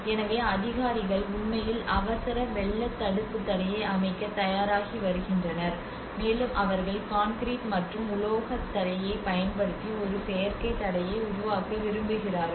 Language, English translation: Tamil, So the authorities are actually preparing to set up an emergency flood prevention barrier, and they want to make an artificial barrier using the concrete and metal barrier